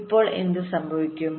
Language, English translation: Malayalam, so now what will happen